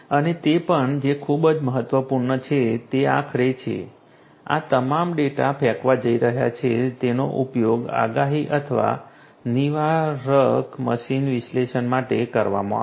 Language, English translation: Gujarati, And also what is very important is finally, all of these are going to throwing this data this data will be used for predictive or preventive machine analytics right